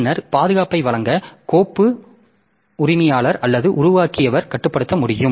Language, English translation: Tamil, Then to provide the protection so file owner or creator should be able to control what can be done and by whom